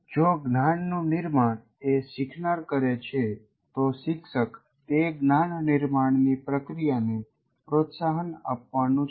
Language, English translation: Gujarati, But if construction is what the learner does, what the teacher does is to foster that construction